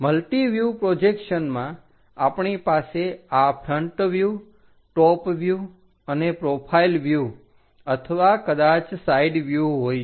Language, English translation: Gujarati, In multi view projections, we have these front view, top view and profile view or perhaps side views